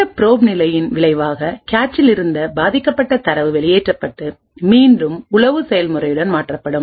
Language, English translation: Tamil, As a result of the probe phase victim data which was present in the cache gets evicted out and replaced again with the spy process